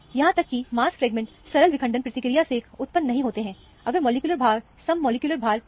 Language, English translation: Hindi, Even mass fragments do not arise from simple fragmentation process, if the molecular weight is a even molecular weight